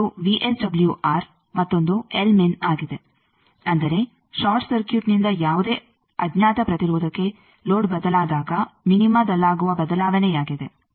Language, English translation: Kannada, One is VSWR another is l min; that means, shift in minima when load is change from short circuit to any unknown impedance